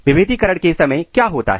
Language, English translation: Hindi, What occurs during the differentiation